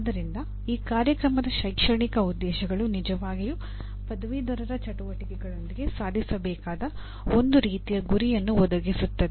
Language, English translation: Kannada, So these Program Educational Objectives really provide a kind of a goal that needs to be attained with the activities of graduates